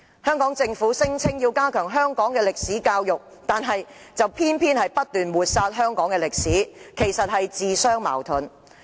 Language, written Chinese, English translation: Cantonese, 香港政府聲言要加強香港歷史教育，卻偏偏不斷抹煞香港歷史，實在自相矛盾。, Despite its claim to enhance education on Hong Kong history the Hong Kong Government has continued to obliterate the history of the territory which is self - contradictory indeed